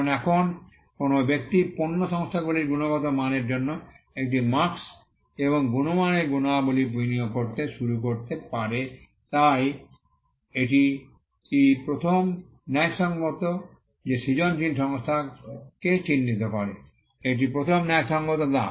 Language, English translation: Bengali, Because now, a person can look at a mark and attribute quality to the product companies started to invest in quality So, that is the first justification that, creative association marks so, that is the first justification